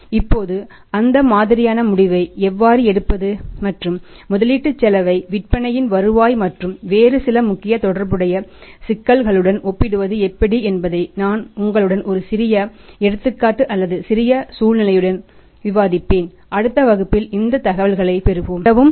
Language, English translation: Tamil, Now how to take that kind of decesion and how to compare the investment cost with the return on sales and some other important related issues I will discuss with you with a small example or small situation we will have the information about in the next class thank you very much